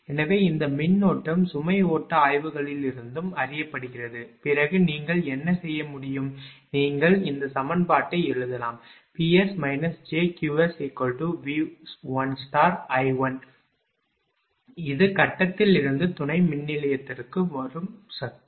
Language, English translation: Tamil, So, then this current is also known from the load flow studies, then what you can do is, you can write this equation P s minus j Q s is equal to V 1 conjugate I 1 this is the power coming from the grid to a substation